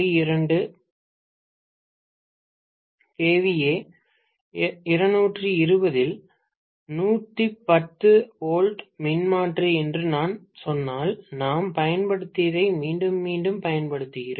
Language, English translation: Tamil, 2 kVA 220 by 110 volts transformer, repeatedly whatever we had used earlier, I am just using it again